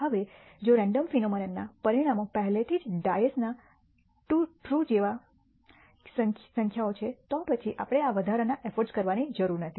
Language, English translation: Gujarati, Now, if the outcomes of random phenomena are already numbers such as the true of a dice, then we do not need to do this extra e ort